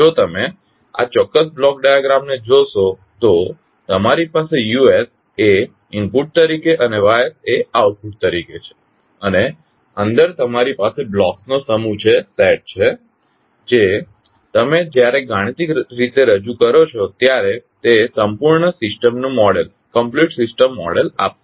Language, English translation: Gujarati, So if you see this particular block diagram you have Us as an input and Ys as an output and inside you have the set of blocks which when you represent them mathematically will give the complete systems model